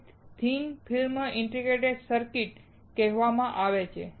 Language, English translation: Gujarati, This is what is called thin film integrated circuit